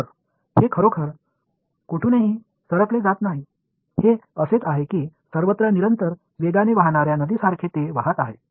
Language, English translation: Marathi, So, it is not really diverging out from anywhere, it is sort of all flowing like a river flowing in a constant speed everywhere it is going a same way